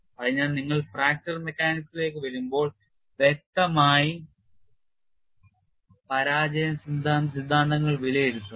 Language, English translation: Malayalam, So, when you come to fracture mechanics; obviously, the failure theory is will be meaning you have to anticipate that